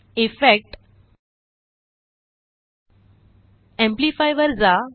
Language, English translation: Marathi, Go to Effect gtgt Amplify